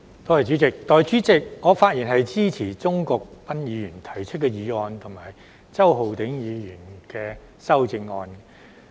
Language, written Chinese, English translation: Cantonese, 代理主席，我發言支持鍾國斌議員提出的議案及周浩鼎議員的修正案。, Deputy President I speak in support of Mr CHUNG Kwok - pans motion and Mr Holden CHOWs amendment